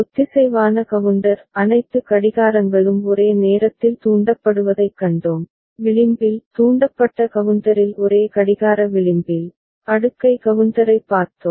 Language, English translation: Tamil, Synchronous counter we had seen that all the clocks are getting triggered at the same time, by the same clock edge in edge triggered counter and we had seen cascaded counter